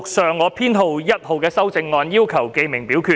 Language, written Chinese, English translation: Cantonese, 陳志全議員要求點名表決。, Mr CHAN Chi - chuen claimed a division